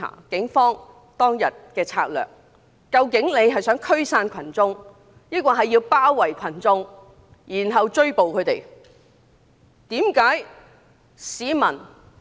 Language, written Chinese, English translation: Cantonese, 警方當日的策略，究竟是否想驅散群眾，還是包圍群眾，然後抓捕他們？, What was the Polices strategy to disperse the crowds or to round them up and arrest them?